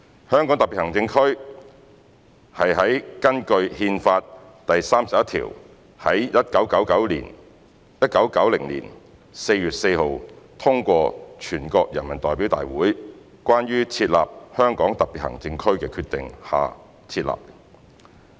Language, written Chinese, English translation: Cantonese, 香港特別行政區便是在根據《憲法》第三十一條於1990年4月4日通過的"全國人民代表大會關於設立香港特別行政區的決定"下設立。, The Hong Kong Special Administrative Region HKSAR was established by the Decision of the National Peoples Congress on the Establishment of the HKSAR adopted in accordance with Article 31 of the Constitution on 4 April 1990